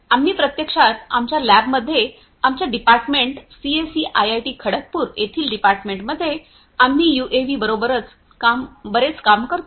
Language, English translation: Marathi, And so, in our lab the swan lab in the Department of Computer Science and Engineering at IIT Kharagpur, we work a lot with UAVs